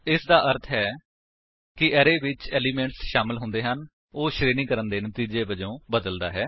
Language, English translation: Punjabi, It means that the array which contains the elements is changed as a result of sorting